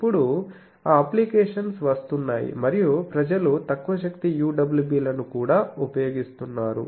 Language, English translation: Telugu, And it is now those applications are coming up and people have also come up low power UWB things